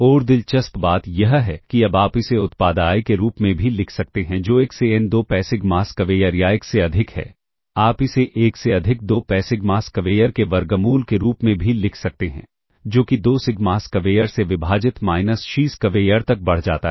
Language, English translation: Hindi, And interestingly, now, you can also write this as the product i equal to 1 to n, 2 pi sigma square or 1 over, you can also write it as 1 over square root of 2 pi sigma square, e raised to minus xiSquare divided by 2sigma square